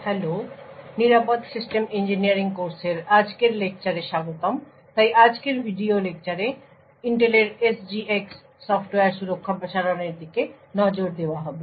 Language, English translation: Bengali, Hello and welcome to today’s lecture in the course for secure systems engineering so in today's video lecture will be looking at Intel’s SGX Software Guard Extensions